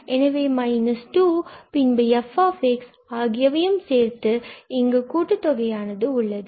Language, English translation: Tamil, Well and then we have the product of f x with this summation